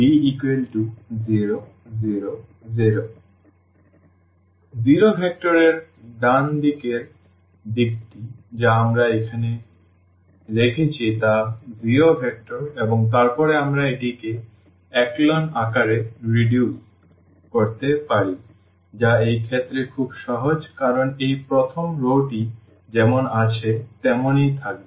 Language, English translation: Bengali, The right hand side the zero vector which we have kept here the zero vector and then we can reduce it to the echelon form which is very simple in this case because this first row will remain as it is